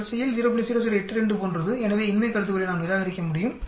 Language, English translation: Tamil, 0082 like so we can reject the null hypothesis